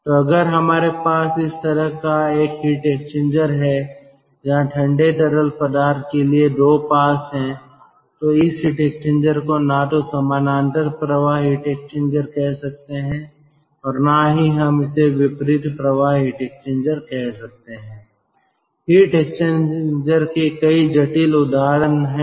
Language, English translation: Hindi, so if we have this kind of a heat exchanger which is having two pass for the cold fluid, then this heat exchanger we can neither call it a parallel flow heat exchanger, nor we call it, nor we can call it as a ah, counter flow heat exchanger